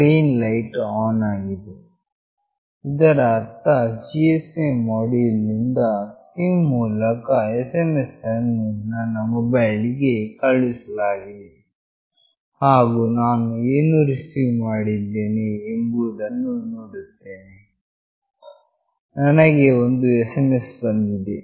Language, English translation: Kannada, The green light is on meaning that the SMS has been sent from this particular GSM module through this SIM to my mobile, and let me see what I receive; I have received an SMS